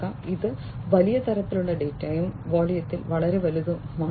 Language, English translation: Malayalam, This is huge kind of data and huge in volume